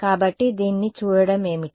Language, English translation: Telugu, So, looking at this what